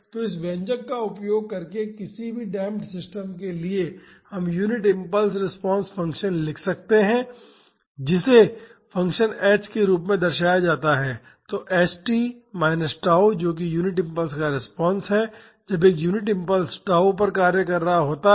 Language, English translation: Hindi, So, for any damped system using this expression we can write the unit impulse response function, that is represented as function h; so, h t minus tau that is the response to unit impulse when a unit impulse is acting at tau